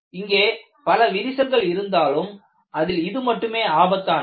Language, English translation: Tamil, And you can have multiple cracks, one of them may be more dangerous